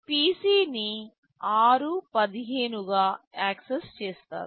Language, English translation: Telugu, PC is accessed as r15